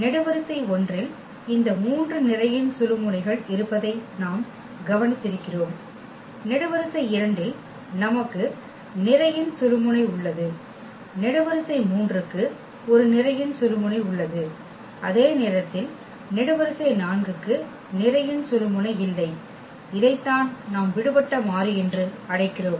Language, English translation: Tamil, What we have observed that there are these 3 pivots in column 1 we have pivot, in column 2 also we have pivot, column 3 also has a pivot while the column 4 does not have a pivot and this is what we call the free variable